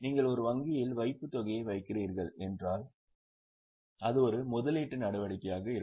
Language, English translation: Tamil, If you are putting a deposit in a bank it will be an investing activity